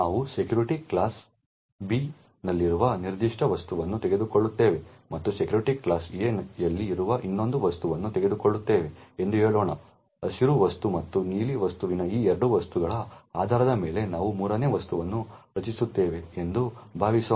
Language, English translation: Kannada, Suppose let us say that we take a particular object present in security class B and take another object present in security class A, suppose we actually create a third object which is based on these two objects that is the green object and the blue object, so the join relation would define the security class for this third object